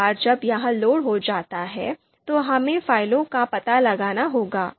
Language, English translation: Hindi, So once this is loaded, then now we need to you know you know find out the files